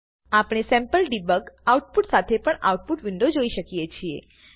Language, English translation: Gujarati, We can also look at the Output window with the sample debug output